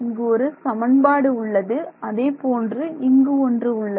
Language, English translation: Tamil, So, this is our first equation this is our second equation